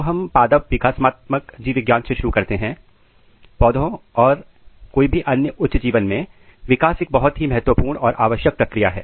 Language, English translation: Hindi, Coming to the introduction of plant developmental biology, so in plants or any higher organism growth and developments are very very important and essential processes